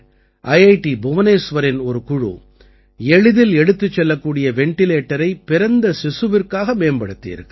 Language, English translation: Tamil, For example, a team from IIT Bhubaneswar has developed a portable ventilator for new born babies